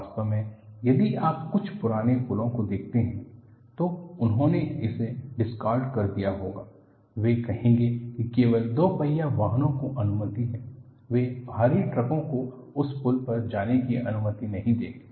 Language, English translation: Hindi, In fact, if you look at some of the old bridges, they would have discarded it; they would say that its permissible to allow only two wheelers; they will not allow heavy truck to go on that bridge